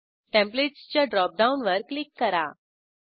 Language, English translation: Marathi, Now, click on Templates drop down